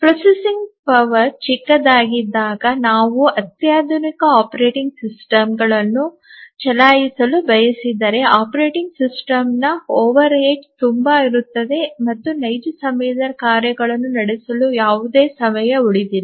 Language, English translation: Kannada, When the processing power is small, if we want to run a sophisticated operating system, then the overhead of the operating system will be so much that there will be hardly any time left for running the real time tasks